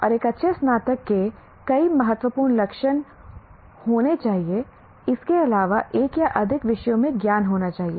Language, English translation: Hindi, And there are many important characteristics of a good graduate should have besides sound knowledge in one or more disciplines